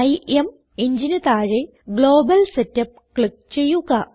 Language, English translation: Malayalam, Under IMEngine, click on Global Setup